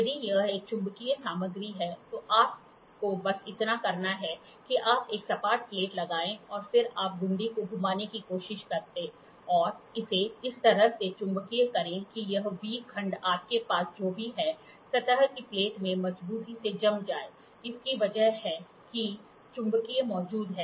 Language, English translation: Hindi, If it is a magnetic material, so all you have to do is you put a flat plate and then you try to rotate the knob and magnetize it such that this V block gets firmly fastened to the surface plate whatever you have, it is because of the magnet present